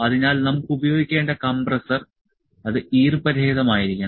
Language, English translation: Malayalam, So, the compressor that we have to use, it has to be moisture free